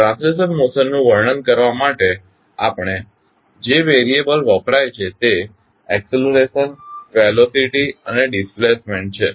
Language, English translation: Gujarati, The variables that are used to describe translational motion are acceleration, velocity and displacement